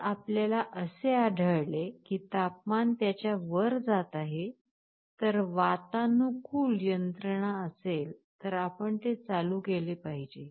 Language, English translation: Marathi, If you find the temperature is going above it, if there is an air conditioning mechanism, you should be turning it on